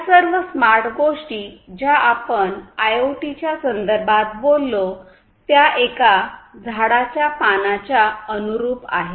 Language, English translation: Marathi, All these smart things that we talk about in the context of IoT; these smart applications, they are analogous to the leaves of a tree